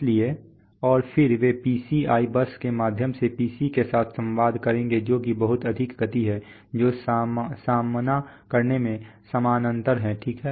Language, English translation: Hindi, So and then they will communicate with the PC through the PCI bus which is much higher speed which is parallel in the facing, right